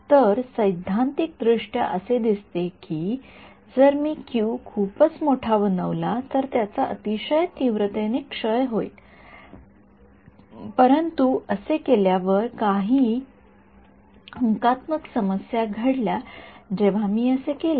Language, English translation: Marathi, So, theoretically it seems that if I make q to be very large then it will decay very sharply, but there are certain numerical issues that happened when I do that